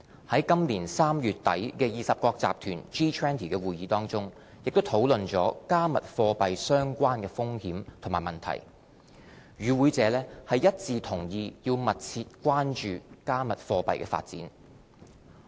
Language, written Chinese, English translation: Cantonese, 在今年3月底的20國集團會議，也討論到"加密貨幣"相關的風險和問題，與會者一致同意要密切關注"加密貨幣"的發展。, The G20 meeting held in end March 2018 discussed the risks and related issues brought about by cryptocurrencies . The meeting agreed that there was a need to closely monitor the situation